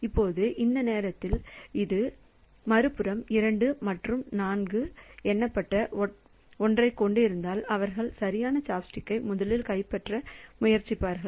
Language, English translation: Tamil, Now, at that time if this on the other hand this event numbered one that is 2 and 4 they will try to grab the right chopstick first